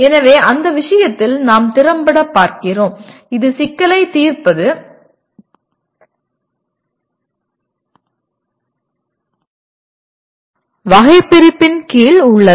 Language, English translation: Tamil, So in that case we are also effectively looking at that is problem solving is also subsumed under Bloom’s taxonomy